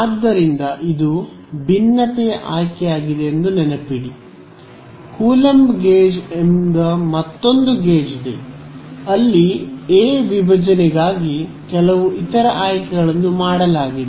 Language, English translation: Kannada, So, remember this is a choice of the divergence there is another gauge called coulomb gauge where some other choices made for divergence of A ok